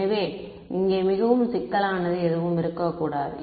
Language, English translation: Tamil, So, should not be anything too complicated here